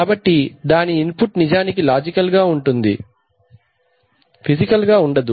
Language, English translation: Telugu, So its input is actually logical it is not physical input